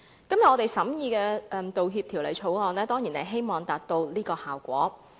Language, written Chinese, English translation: Cantonese, 今天我們審議《道歉條例草案》，當然是希望達致這個效果。, Todays scrutiny of the Apology Bill the Bill of course aims to achieve such a result